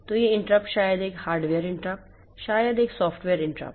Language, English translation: Hindi, One is hardware interrupt and another is software interrupt